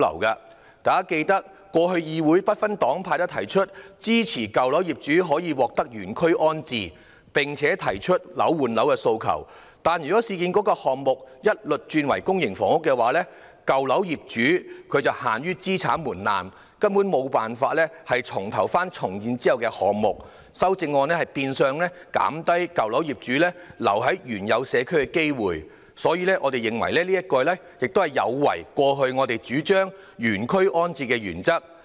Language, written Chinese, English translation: Cantonese, 大家應記得，過去議會不分黨派均支持舊樓業主可以獲得原區安置，並提出"樓換樓"的訴求，但若市建局的項目一律轉為公營房屋，舊樓業主限於資產門檻，根本無法選擇重建後的單位，修正案變相減低舊樓業主留在原有社區的機會，我們認為這有違過去我們主張的原區安置的原則。, Members may recall that in the past the Legislative Council regardless of political affiliations has supported in - situ rehousing for owners of properties in old buildings and requested the flat - for - flat arrangement . However if the projects of URA are indiscriminately converted to public housing such owners will be unable to choose any housing unit after redevelopment owing to the asset threshold . The amendment will turn out to reduce the chance of owners of properties in old buildings to stay in the original community